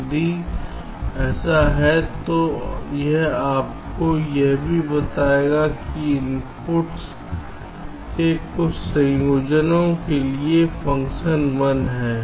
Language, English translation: Hindi, if so, it will also tell you for what combination of the inputs the function is one